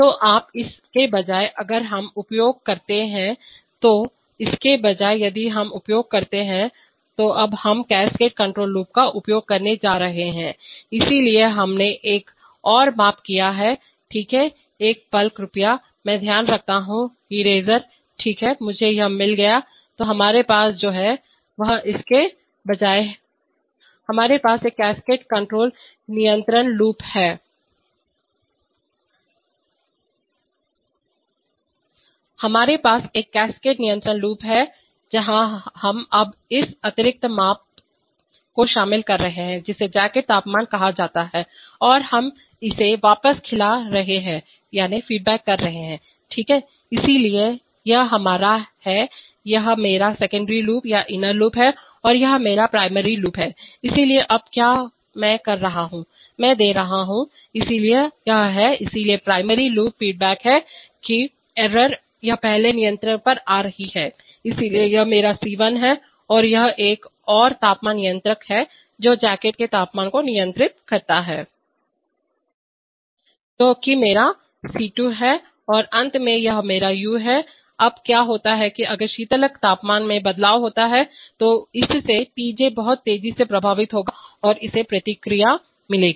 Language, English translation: Hindi, So now instead of that, if we use, instead of that if we use, so now we are going to use the, use of cascade control loop, so we have made another measurement, Okay, one moment please, I want to take care of the eraser oh, okay I got it yeah, so what we have, is instead of that, We have a cascade control loop where we are now incorporating this additional measurement called the jacket temperature and we are feeding it back, right, so this is our, this is my secondary loop or inner loop and this is my primary loop, so now what I am doing is, I am giving, so this, so the primary loop feedback is there that is error it is coming to the first controller, so this is my C1 and this is another temperature controller which controls the jacket temperature that is my C2 and finally this is my u, now what happens is that if there is a coolant temperature change then that will affect TJ much faster and it will get feedback